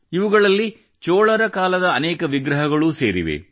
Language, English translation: Kannada, Many idols of the Chola era are also part of these